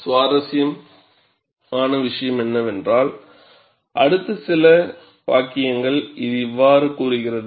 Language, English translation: Tamil, And what is interesting is, the next few sentences, it says like this